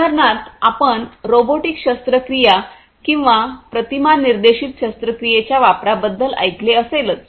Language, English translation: Marathi, So, for example, you know, you can, you know, you must have heard about the use of you know robotic surgery or image guided surgery